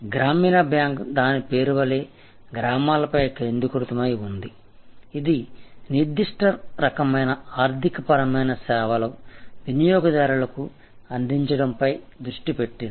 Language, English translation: Telugu, So, Gramin Bank by it is very name it is focused on villages, it is focused on serving particular type of economic profile of customers